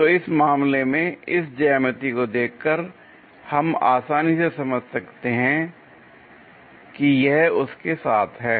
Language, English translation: Hindi, So, in this case by looking at this geometry, we can easily sense that this one accompanied by that